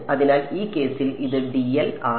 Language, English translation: Malayalam, So, this is dl in this case